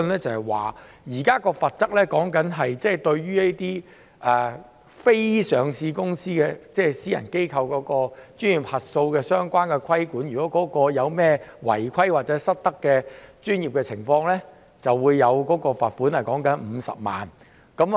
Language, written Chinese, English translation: Cantonese, 就現在說的罰則，或對於這些非上市公司，即私人機構的專業核數的相關規管而言，如果有任何違規或專業失德的情況，便會罰款50萬元。, As regards the penalties we are talking about or the regulation of the professional audit of these unlisted companies or private entities there will be a fine of 500,000 for any violation of the law or professional misconduct